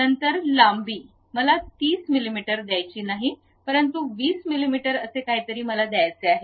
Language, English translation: Marathi, Then length I do not want to give 30 mm, but something like 20 mm I would like to give